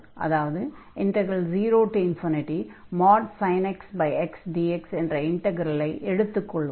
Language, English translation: Tamil, So, the integral 0 to infinity sin x over x dx converges